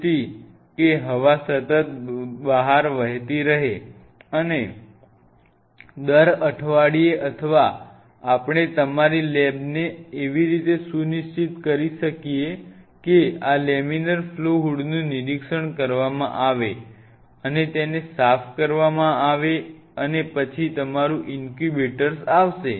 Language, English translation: Gujarati, So, that the air continuously flows out and every week or we can schedule your lab in such a way that this laminar flow hood is being inspect it and cleaned then comes your incubator